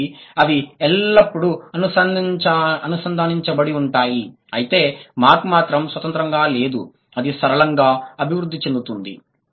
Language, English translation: Telugu, So they are always connected through the, so the change has not been independent rather it has been a linear development